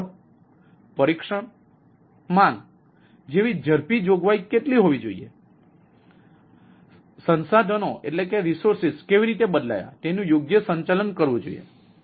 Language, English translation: Gujarati, how rapid provisioning should be, like speed testing, demand flexibility and how resource changed should be managed right